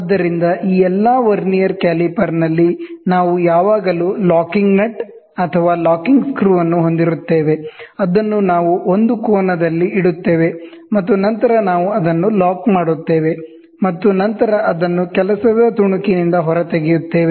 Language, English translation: Kannada, So, in all these Vernier caliper, all these things we will always have a locking nut or locking screw, which we keep it at an angle, and then we lock it, and then we pull it out from the work piece, and then see what is the measurement